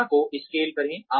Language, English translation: Hindi, Scale the incident